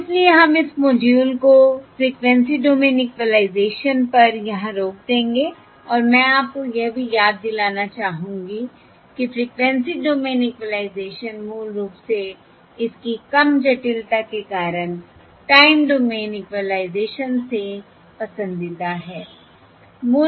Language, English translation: Hindi, and I would like to also remind you that Frequency Domain Equalisation is basically much more um its preferred compact to Time Domain Equalisation because of its low complexity